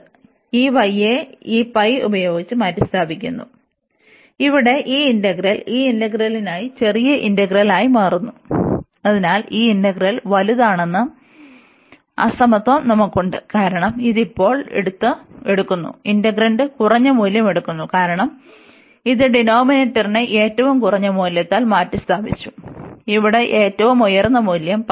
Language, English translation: Malayalam, So, this y is replaced by this pi, so that this is this integral here becomes smaller integral for this integral, and therefore we have this inequality that this integral is larger, because this is taking now the integrant is taking lower value, because this denominator was replaced by the lowest value the highest value here which is pi there